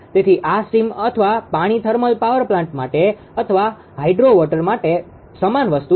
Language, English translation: Gujarati, So, this is steam or water same thing for thermal power plant steam or hydro water right